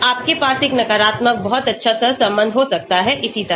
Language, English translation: Hindi, You can also have a negative very good correlation like this